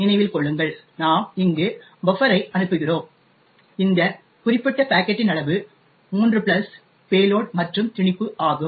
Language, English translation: Tamil, Note that, we are sending the buffer here and the size of this particular packet is 3 plus payload plus the padding